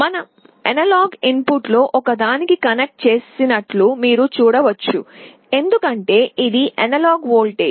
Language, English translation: Telugu, You see we have connected to one of the analog inputs, because it is an analog voltage